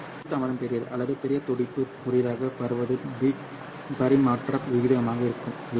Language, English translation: Tamil, The larger the group delay or the larger the pulse spreading, the shorter will be the bit rate of transmission